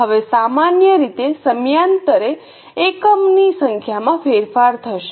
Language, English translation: Gujarati, Now normally there will be change in the number of units from period to period